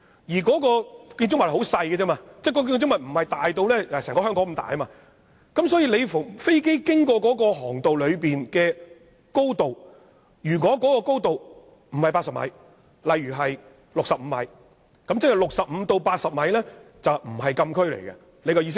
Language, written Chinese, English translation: Cantonese, 而該建物築面積很小，不是好像整個香港般大，所以飛機飛行的高度，如果不是80米，例如是65米，那即是65米至80米便不是禁區，意思就是這樣。, Besides the building concerned is very small and it does not cover the whole Hong Kong so if the airport height restriction at that area is lower than 80 m say 65 m the area between 65 m and 80 m is not covered in the closed area . This is what the provision means